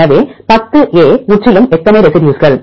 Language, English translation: Tamil, So 10 A, totally how many residues